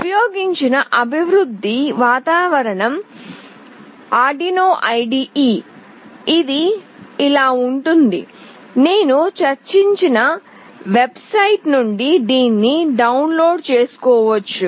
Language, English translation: Telugu, The development environment used is Arduino IDE, which looks like this, which can be downloaded from the website I have already discussed